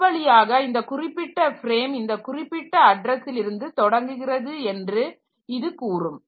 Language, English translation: Tamil, So, that way it will go to the, so suppose this particular frame it tells that it starts at this particular address